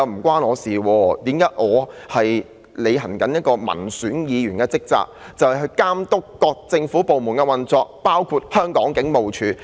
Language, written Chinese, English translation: Cantonese, 他只是在履行民選議員的職責，監督各政府部門的運作，包括香港警務處。, He was only performing his duties as an elected Member and overseeing the operations of various government departments including the Hong Kong Police Force